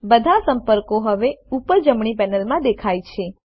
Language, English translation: Gujarati, All the contacts are now visible in the top right panel